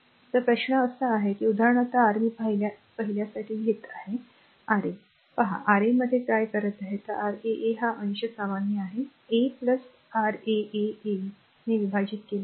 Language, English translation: Marathi, So, question is that your for example, this one look for a first I am taking Ra; Ra right what we are doing in that is your R 1 R 2 this numerator is common R 1 R 2 plus your R 2 R 3 plus R 3 R 1 common divided by this is Ra right